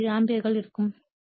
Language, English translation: Tamil, 167 ampere right